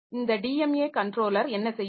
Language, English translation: Tamil, So, what this DMA controller will do